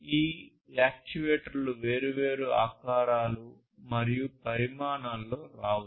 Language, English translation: Telugu, And these actuators can come in different shapes and sizes